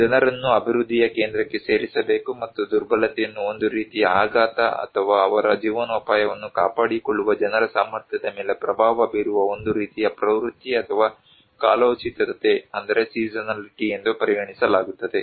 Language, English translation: Kannada, People should be put into the center of the development and vulnerability is considered as a kind of shock or a kind of trend or seasonality that influence the capacity of the people to maintain their livelihood